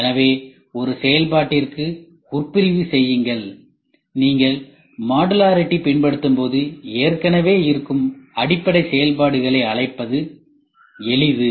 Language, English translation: Tamil, So, subassembly intern to a function so when you follow modularity it is easy to call those already existing library functions